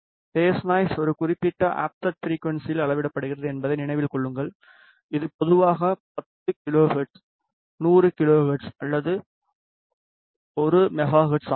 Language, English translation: Tamil, Remember phase noise is measured at a particular offset frequency which is typically 10 kilohertz, 100 kilohertz or 1 megahertz